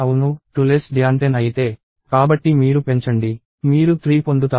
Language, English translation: Telugu, Yes, 2 is less than 10, so you increment; you get 3